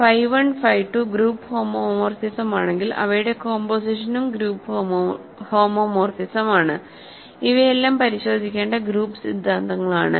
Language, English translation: Malayalam, If phi 1 phi 2 are group homomorphism their composition is also group homomorphism, these are all group theoretic properties that one has to check